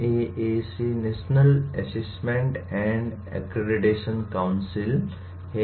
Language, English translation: Hindi, NAAC is National Assessment and Accreditation Council